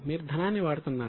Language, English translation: Telugu, You are using money